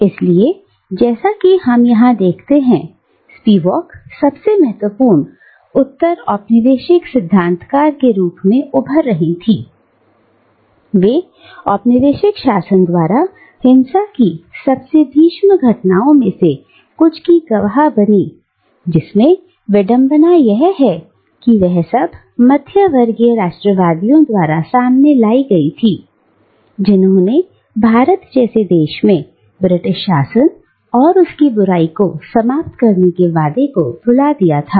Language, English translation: Hindi, And so, as we see here, Spivak, who was to emerge as one of the foremost postcolonial theorist, grew up witnessing some of the most gruesome incidents of violence that were brought about by the colonial rule and also, ironically, by the middleclass class nationalists, who in a place like India, touted the promise of ending British rule and its evil